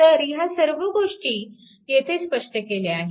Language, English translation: Marathi, So, all this things are explained here